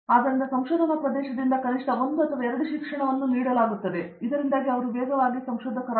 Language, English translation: Kannada, So, at least 1 or 2 courses are given from the research area so that they will be going faster